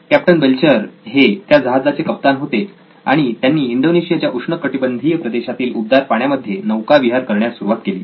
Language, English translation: Marathi, So, Captain Belcher was in command and he started sailing in the warmer waters of Indonesia, tropical waters of Indonesia